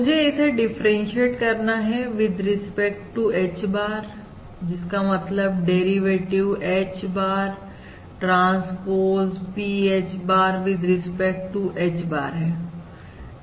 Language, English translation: Hindi, Now I were to differentiate this with respect to, that is, considering the derivative of this function: H bar transpose P H bar